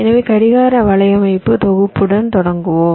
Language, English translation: Tamil, ok, so we start with clock network synthesis